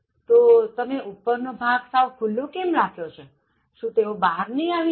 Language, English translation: Gujarati, Then how come you have kept the top portion completely open; so won’t they jump out